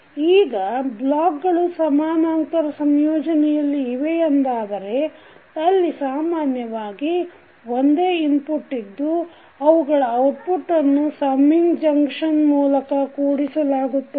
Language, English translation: Kannada, Now, if the blocks are in parallel combination means two systems are said to be in parallel when they have common input and their outputs are combined by a summing junction